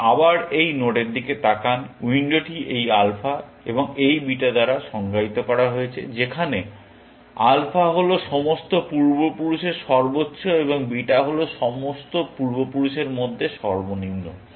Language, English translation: Bengali, The window is defined by this alpha and this beta where, alpha is a maximum of all the ancestors, and beta is the minimum of all the ancestors